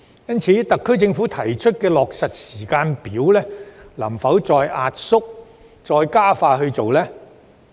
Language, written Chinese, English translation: Cantonese, 因此，特區政府能否再壓縮其提出的落實時間表，加快進行有關工作呢？, In light of this can the SAR Government further compress the proposed implementation timetable and speed up the relevant work?